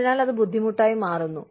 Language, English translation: Malayalam, So, that becomes difficult